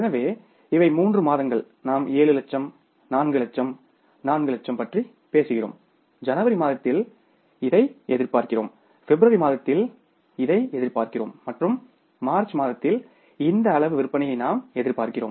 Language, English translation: Tamil, So, these are the three months and we are talking about the 7 lakhs, 4 lakhs, 4 lakhs, you can say that in the month of January we are anticipating this and in the month of March we are anticipating this much amount of sales